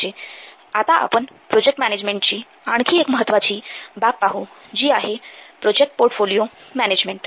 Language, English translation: Marathi, Now we will see another important aspect of software project management that is your portfolio project portfolio management